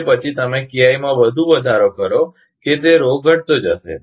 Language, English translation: Gujarati, After that, you further increase of KI that Rho will be decreasing